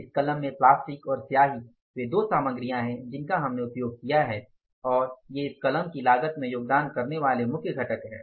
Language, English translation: Hindi, In this pen, plastic and ink are the main materials we have used and they are the main component of the the cost of the cost of this pen